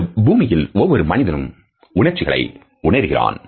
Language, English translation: Tamil, Every person on the planet feels emotions